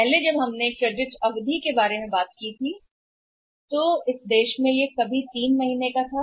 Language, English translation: Hindi, Earlier when we talk about the credit period in this country was sometime 3 months also